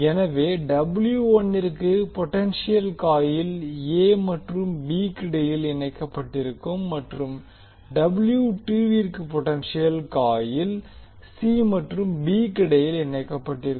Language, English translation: Tamil, So for W 1 the potential coil is connected between a and b and for W 2 the potential coil is connected between c and b